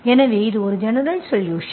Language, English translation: Tamil, So this is the general solution